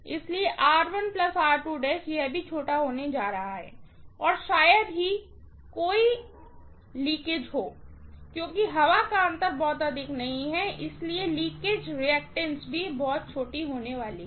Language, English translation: Hindi, So, R1 plus R2 dash is also going to be small and there is hardly any leakage because there is not much of air gap, so, the leakage reactance’s are also going to be very very small